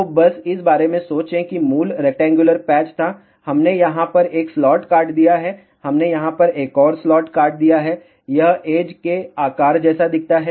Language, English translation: Hindi, So, just think about this was the original rectangular patch we have cut 1 slot over here, we have cut another slot over here, it looks like the shape of a edge